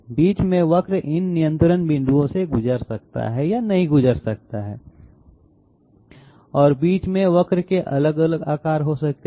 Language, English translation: Hindi, In between the curves might or might not pass through these control points okay and the curve can be having different shapes in between